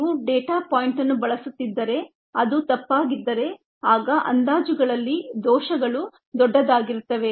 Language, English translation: Kannada, if you are using the data point which happen to be incorrect, then the errors would be large in the estimates